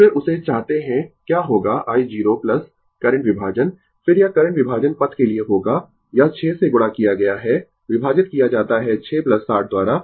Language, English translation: Hindi, Then, we want that what will be i 0 plus current division, then it will be for current division path it is multiplied by 6 divided by 6 plus 60 right